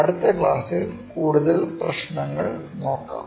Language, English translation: Malayalam, Let us look at more problems in the next class